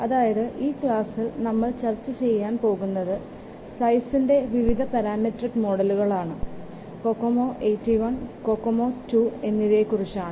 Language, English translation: Malayalam, So in this class we will discuss the parameter models for size which is um, um, cocomo eighty one and cocoma two